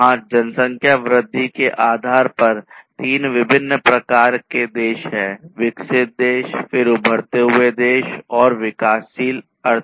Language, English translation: Hindi, There are three different types of countries based on the population growth, developed countries then emerging countries, emerging economies, basically, and developing economies